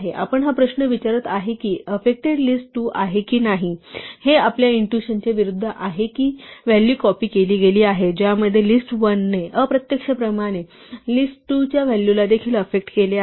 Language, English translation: Marathi, The question we are asking is has this affected list2 or not and contrary to our intuition that we have the values are copied in which case list1 has indirectly has effected the value of list2 as well